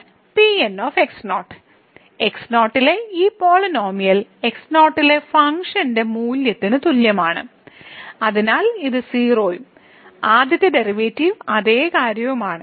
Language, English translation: Malayalam, and by construction this polynomial at is equal to the function value at so this is 0, and the first derivative the same thing